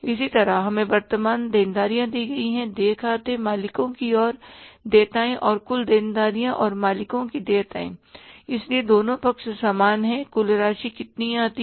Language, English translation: Hindi, Similarly we we are given the current liabilities first accounts payable, owners equity and the total liabilities and the owners equal